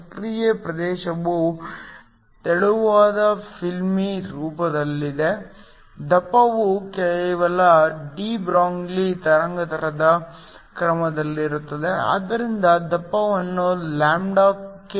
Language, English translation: Kannada, If the active region is in the form of a thin film then only the thickness is of the order of the de Broglie wavelength, so the thickness is comparable to lambda